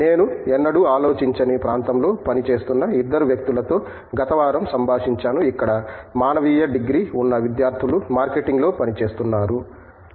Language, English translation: Telugu, I just interacted last week with 2 of them who are working in the area which I never thought in for, where a student with humanities degree will be working, they were working in marketing